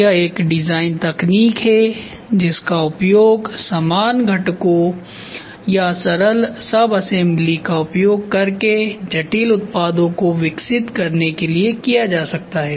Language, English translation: Hindi, It is a design technique that can be used to develop complex products using similar components slash simpler subassembly